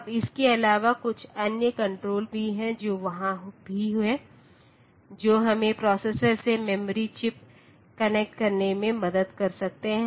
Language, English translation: Hindi, Now apart from that there are some other controls which are also there, that can help us in our connecting memory chips to the processor